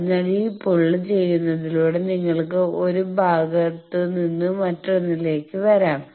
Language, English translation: Malayalam, So, by this pulling you can come to 1 part to other